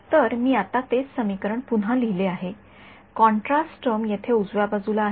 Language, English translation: Marathi, So, I have just rewritten that same equation now, I have the contrast term over here on the right hand side right